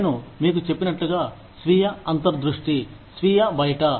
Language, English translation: Telugu, Like i told you, self insight, self outside